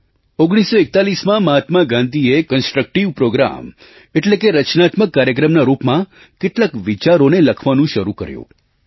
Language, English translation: Gujarati, In 1941, Mahatma Gandhi started penning down a few thoughts in the shape of a constructive Programme